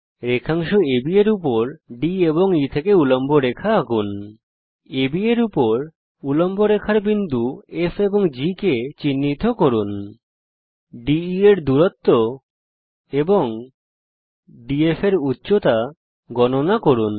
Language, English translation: Bengali, Draw perpendicular lines to segment AB from D and E Mark the points F and G of the perpendicular lines on AB Measure distance DE and height DF The output of the assignment should look like this